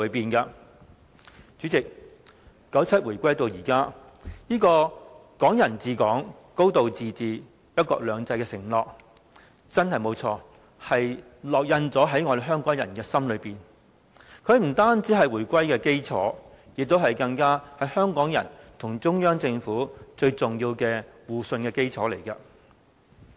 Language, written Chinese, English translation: Cantonese, 代理主席 ，97 回歸至今，這個"港人治港、高度自治、一國兩制"的承諾，真的沒錯，烙印在香港人的心中，它不但是回歸的基礎，更是香港人與中央政府最重要的互信基礎。, Deputy President since the reunification in 1997 the pledges of Hong Kong people ruling Hong Kong a high degree of autonomy and one country two systems have indeed been implanted in the heart of Hong Kong people . It is not only the foundation of the reunification but also the foundation of the mutual trust between Hong Kong people and the Central Government